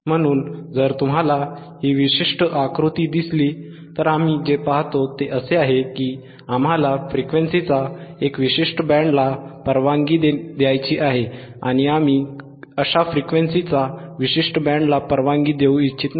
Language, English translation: Marathi, So, if you see this particular figure, what we see is there is a certain band of frequencies that we want to allow and, certain band of frequencies that we do not want to allow